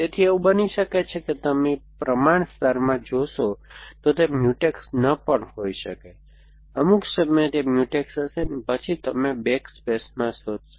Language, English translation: Gujarati, So, it might be that you might see the proportions appear in the proportion layer, but they may not be Mutex, at some point they will be Mutex and then you will search for in a backward space